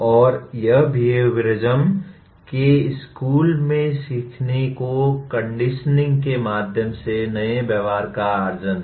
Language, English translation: Hindi, And here the school of behaviorism stated learning is the acquisition of new behavior through conditioning